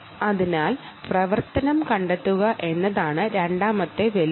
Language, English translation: Malayalam, therefore, second challenge is to do activity detection